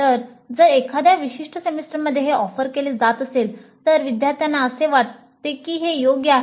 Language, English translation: Marathi, So if it is offered in a particular semester do the students feel that that is an appropriate one